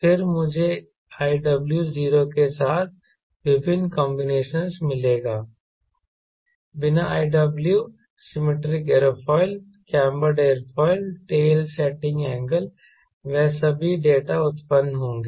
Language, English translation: Hindi, then i will get various combinations with iw zero, without i w symmetric aerofoil, cambered aerofoil, tail setting angle